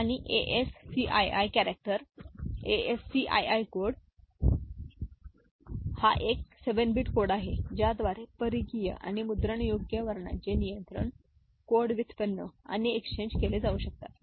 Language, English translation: Marathi, And ASCII character, ASCII code is a 7 bit code by which control codes for peripherals and printable characters can be generated and exchanged